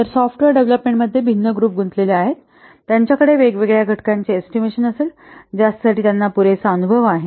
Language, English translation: Marathi, So, different groups involved in the software development, they will estimate different components for which it has adequate experience